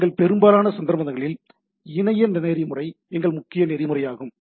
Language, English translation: Tamil, So, in most of our cases what we work on is the internet protocol is our predominant protocol